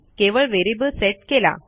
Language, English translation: Marathi, Weve just set it as a variable